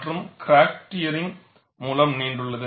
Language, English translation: Tamil, And the crack extends by tearing